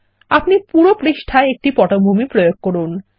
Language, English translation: Bengali, We just apply a background to the whole page